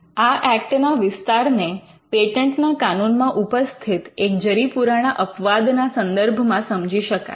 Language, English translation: Gujarati, You should understand this scope of this act in the light of an age old exception that was there in patent laws